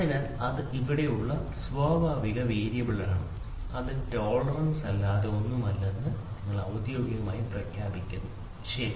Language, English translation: Malayalam, So, that is the natural variability which is there and you officially declare that is nothing, but the tolerance, ok